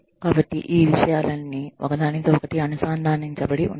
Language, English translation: Telugu, So, all those things are interconnected